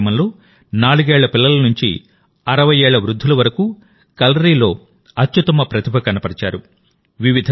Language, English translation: Telugu, In this event, people ranging from 4 years old children to 60 years olds showed their best ability of Kalari